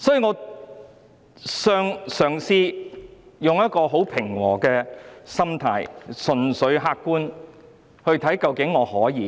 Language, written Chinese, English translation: Cantonese, 我嘗試以平和的心態，純粹客觀地作出審視。, I have tried to examine the whole thing purely from an objective angle with a calm attitude